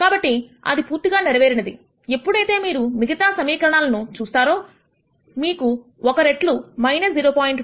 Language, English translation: Telugu, So, that gets satisfied when you look at the other equation you have one times minus 0